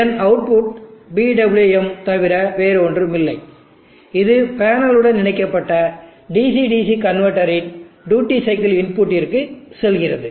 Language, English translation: Tamil, And the output of this is nothing but the PWM which goes to the duty cycle input of the DC DC converter to which the PV panel has been interfaced with